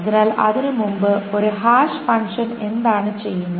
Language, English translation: Malayalam, So before that what is a hash function does